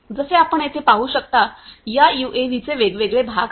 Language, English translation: Marathi, So, as you can see over here, this UAV has different parts